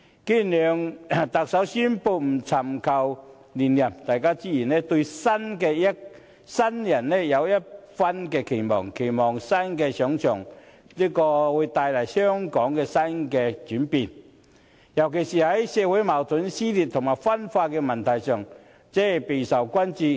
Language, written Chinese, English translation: Cantonese, 既然梁特首宣布不尋求連任，大家自然對新人有一番期望，期望新人上場後會為香港帶來一些新的轉變，而社會矛盾、撕裂和分化的問題，尤其備受關注。, Given that the Chief Executive has announced his wish not to run for another term people naturally put their expectations on the next Chief Executive hoping that the newcomer will bring new changes to Hong Kong particularly on the issues of social conflicts dissension and division that they are very concerned about